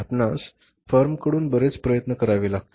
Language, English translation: Marathi, Lot of efforts have to be put by the firm